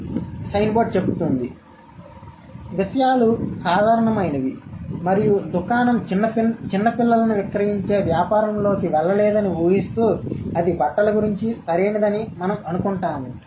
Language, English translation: Telugu, So, assuming things are normal and this store has not gone into the business of selling young children, we assume that it is about the clothes, right